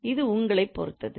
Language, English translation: Tamil, So it's up to you